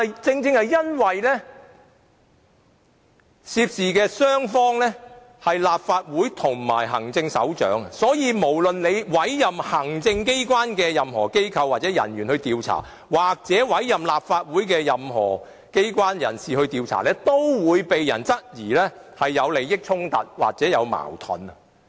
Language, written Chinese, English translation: Cantonese, 正正由於涉事雙方是立法會和行政長官，所以無論委任行政機關內任何機構或人員進行調查，或是委任立法會內任何機構或人士進行調查，均會被人質疑存在利益衝突或矛盾。, It is precisely because the matter involves the Legislative Council and the Chief Executive that regardless of whether the investigation is carried out by any institution or personnel of the Executive Authorities or any institution or personnel of the Legislative Council there are likely doubts about conflict of interests